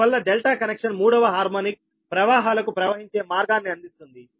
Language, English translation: Telugu, therefore, the delta connection does, however, provide a path for third, third harmonic currents to flow